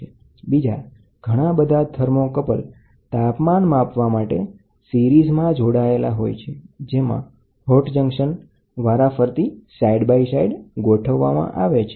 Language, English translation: Gujarati, So, this is and a number of thermocouples are connected to measure the temperature they are connected in series, wherein the hot junction is arranged side by side